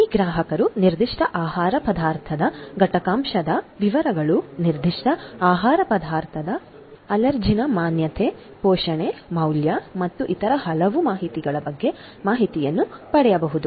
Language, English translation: Kannada, These consumers consequently can get information about the ingredient details of a particular food item, allergens exposure of that particular food item, nutrition, value and many different other Information